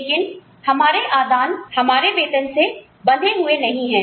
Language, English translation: Hindi, But, our inputs are not tied, exclusively to the salaries